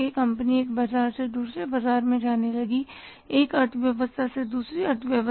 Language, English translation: Hindi, Companies started moving from the one market to another market, one economy to the another economy